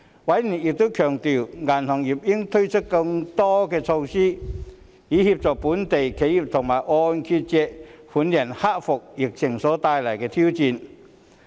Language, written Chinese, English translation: Cantonese, 委員亦強調銀行業應推出更多措施，以協助本地企業及按揭借款人克服疫情帶來的挑戰。, Members also stressed that the banking industry should introduce more measures to help local enterprises and mortgage borrowers ride through the challenges arising from the COVID - 19 outbreak